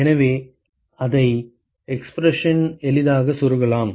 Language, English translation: Tamil, So, we can easily plug it in the expression